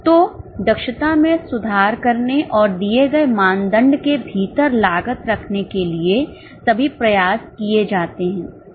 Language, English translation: Hindi, So, all efforts are made to improve efficiency and to keep costs within the given benchmark